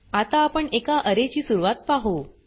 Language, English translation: Marathi, Let us start with the introduction to Array